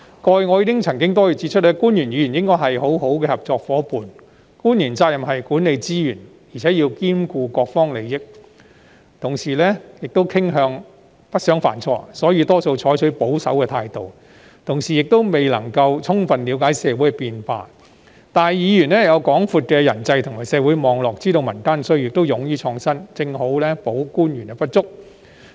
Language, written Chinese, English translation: Cantonese, 過去，我曾多次指出，官員和議員應該是很好的合作夥伴，官員的責任是管理資源，更要兼顧各方利益，亦傾向不想犯錯，所以大多採取保守態度，亦未必能了解社會變化；而議員有廣闊的人際及社會網絡，知道民間需要，亦勇於創新，正好補足官員的不足。, As I have pointed out many times officials and Members should be good partners . As officials are obliged to manage resources and take into consideration the interests of various parties they tend to avoid making mistakes and often stay on the conservative side that would prevent them from grasping social changes . Members on the other hand have wide - stretching interpersonal and social networks that enable them to understand the needs of the community and be ready to innovate which precisely makes up for the deficiencies of the officials